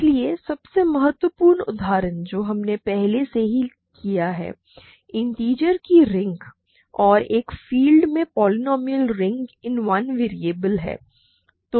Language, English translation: Hindi, So, the most important examples that we have encountered already in the course are of course, the ring of integers and the polynomial ring in one variable over a field right